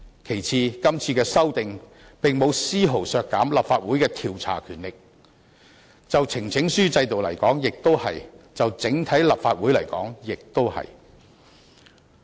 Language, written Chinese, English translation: Cantonese, 其次，今次的修訂並沒有絲毫削減立法會的調查權力，就呈請書制度而言如此，就立法會整體而言亦如此。, Secondly these amendments will not reduce the investigative power of the Council in any way whether in terms of the petition system or the overall operation of the Council